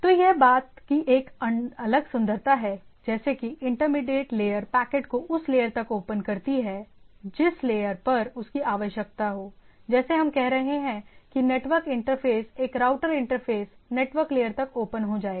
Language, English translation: Hindi, So, this there is a distinct beauty of the thing, like intermediate layer which is looking at it opens up the packet up to the layer it needs to look at right, like as we are saying that a network interface, a router interface will open up the things at the, up to the network layer